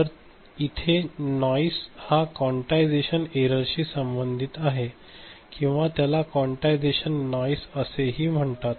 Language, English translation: Marathi, So, noise here is related to quantization error or also it is called quantization noise ok